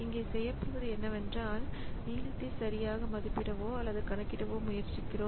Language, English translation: Tamil, So, what is done here is that we try to estimate or predict the length, okay